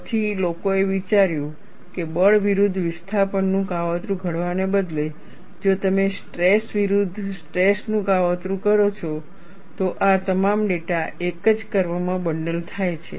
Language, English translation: Gujarati, Then people thought, instead of plotting force versus displacement, if you plot stress versus strain, all of this data bundled in a single curve